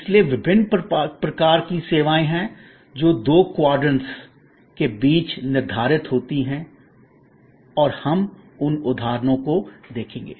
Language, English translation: Hindi, So, there are different kinds of services, which set between the two quadrants and we will see those examples as we go along